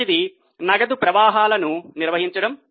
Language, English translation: Telugu, The first one is operating cash flows